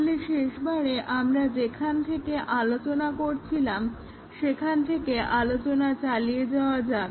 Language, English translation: Bengali, Let us continue from where we are discussing last time